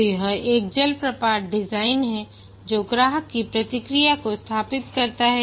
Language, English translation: Hindi, So, this is like a waterfall model, design, build, install customer feedback